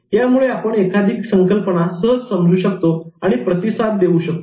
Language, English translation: Marathi, We will be able to easily get a concept and then understand that and respond to that